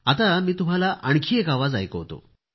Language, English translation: Marathi, Now I present to you one more voice